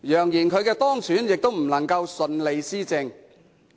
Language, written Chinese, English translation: Cantonese, 揚言她當選亦不能順利施政。, spreading the word that she cannot govern smoothly even if she is elected